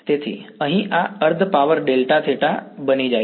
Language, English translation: Gujarati, So, this over here this becomes the half power delta theta